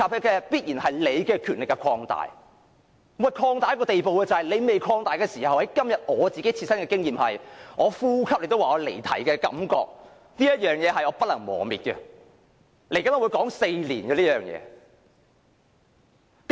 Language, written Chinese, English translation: Cantonese, 即使你的權力尚未擴大，但今天我的切身經驗是，我連呼吸也被你指為離題，這種感覺是不能磨滅的，這件事我會說足4年。, Your powers have not yet been expanded but today I have personally experienced being accused by you of straying from the question when all I did was breathing . Such a feeling can never be banished . I will talk about this for four whole years